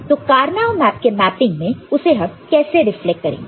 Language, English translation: Hindi, So, in the Karnaugh map mapping how it will reflect